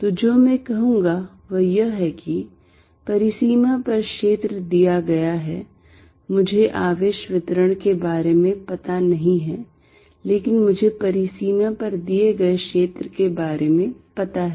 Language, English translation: Hindi, So, what I will say is, field given at a boundary I do not know about the charge distribution but I do know field about a boundary